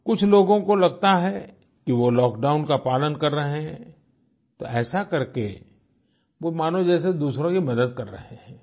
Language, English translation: Hindi, Some may feel that by complying with the lockdown, they are helping others